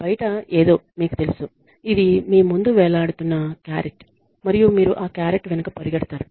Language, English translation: Telugu, Something outside you know this is a carrot hanging in front of you and you are running after that carrot